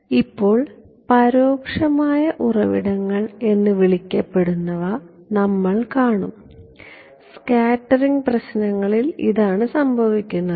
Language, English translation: Malayalam, Now, we will look at what are called indirect sources and this is what happens in scattering problems ok